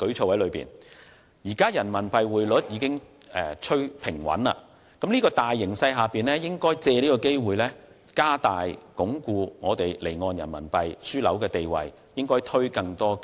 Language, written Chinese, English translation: Cantonese, 在現時人民幣匯率已趨平穩的形勢下，應把握機會推出更多積極措施，加大力度鞏固香港離岸人民幣樞紐的地位。, As the RMB exchange rate has become more stable we should seize the opportunity to introduce more positive measures to strengthen the position of Hong Kong as an offshore RMB business hub